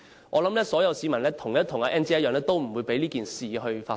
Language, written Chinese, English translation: Cantonese, 我想所有市民跟 Ann 姐一樣，不會讓這件事發生。, I think all members of the public will be just like Sister Ann and will not let this happen